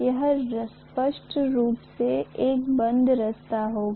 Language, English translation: Hindi, That will be a closed path clearly